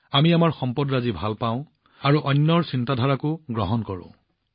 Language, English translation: Assamese, We love our things and also imbibe new things